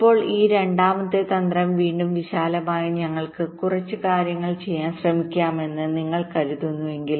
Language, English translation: Malayalam, now this second strategy, again broadly, if you think we can try to do a couple of things